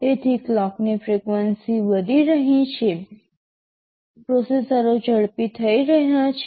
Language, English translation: Gujarati, So, the clock frequencies are increasing, the processors are becoming faster